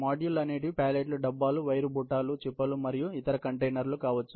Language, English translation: Telugu, The modules may be pallets, bins, wear baskets, pans and other containers